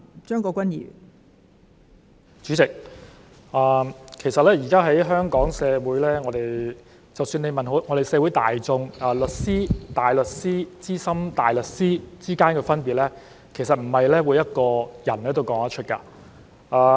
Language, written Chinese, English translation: Cantonese, 代理主席，現時在香港社會，即使問社會大眾：律師、大律師和資深大律師之間的分別，其實不是每一個人都說得出。, Deputy President nowadays in the Hong Kong society when the general public are asked the difference among a solicitor a barrister and a Senior Counsel SC not everyone can tell the answer